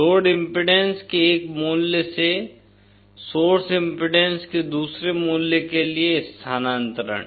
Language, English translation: Hindi, A transfer from one value of load impedance to another value of source impedance